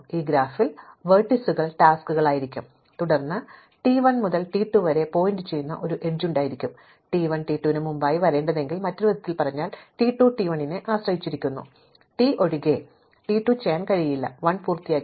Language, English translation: Malayalam, In this graph, the vertices will be the tasks and then you will have an edge pointing from T 1 to T 2, if T 1 must come before T 2, in other words T 2 depends on T 1 you cannot do T 2 unless T 1 has been completed